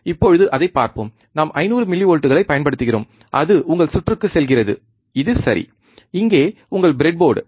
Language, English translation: Tamil, Let see so now, we apply 500 millivolts, it goes to your circuit, right which is, right over here which is your breadboard